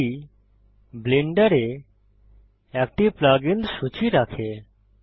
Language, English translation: Bengali, This contains a list plug ins in blender